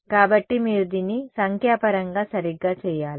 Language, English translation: Telugu, So, you have to do this numerically right